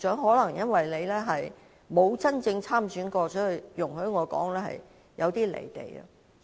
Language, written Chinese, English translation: Cantonese, 可能由於局長從未真正參選，所以——容許我這樣說——他有點"離地"。, It is perhaps because the Secretary has never really stood for election that―allow me to say this―he is somewhat out of touch with reality